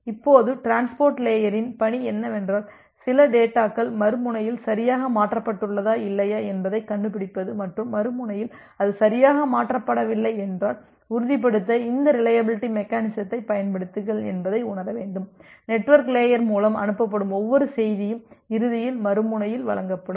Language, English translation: Tamil, Now, the task of the transport layer is to consider that to find out or to sense whether certain data has been transferred correctly at the other end or not and if it is not transferred at the other end correctly, then apply this reliability mechanism to ensure that every message which is send by the application layer that is getting delivered at the other end eventually